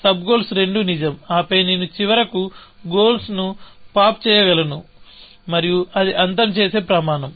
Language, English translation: Telugu, So, both the sub goals are true, and then, I am finally, able to pop the goal, and that is a terminating criteria